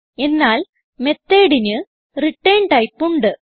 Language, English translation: Malayalam, Whereas Method has a return type